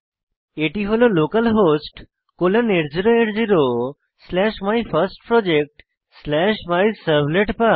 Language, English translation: Bengali, It is localhost colon 8080 slash MyFirstProject slash MyServletPath